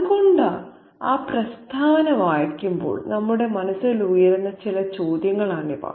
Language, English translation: Malayalam, So, these are some of the questions that crops up in our minds when we read that statement